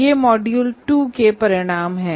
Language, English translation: Hindi, That is the module 2